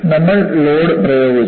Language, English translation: Malayalam, So, you have, load is applied